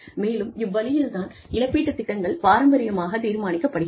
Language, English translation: Tamil, And, this is the way, traditionally, compensation plans have been decided